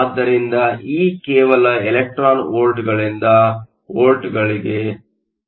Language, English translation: Kannada, So, E is just to convert it from electron volts to volts, it is a difference between the work functions